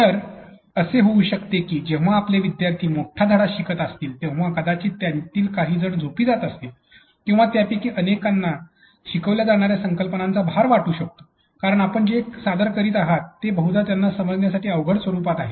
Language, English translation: Marathi, So, it could be that when your students are falling up your long lesson, they could be probably some of them are becoming sleepy or some of them could probably they could be overloaded with some of the concepts that are falling up because you are presenting it in a long probably in a format that is not easy to understand for them